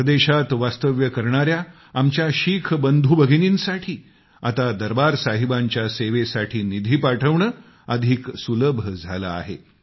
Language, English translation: Marathi, It has now become easier for our Sikh brothers and sisters abroad to send contributions in the service of Darbaar Sahib